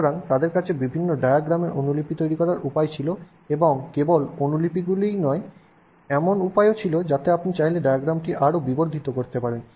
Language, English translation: Bengali, So, but they did have ways of making copies of different diagrams and not just copies, you could also have ways in which you could magnify the diagram if you wanted